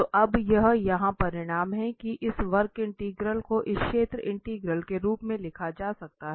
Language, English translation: Hindi, So, this is the result here now that this curve integral can be written as this area integral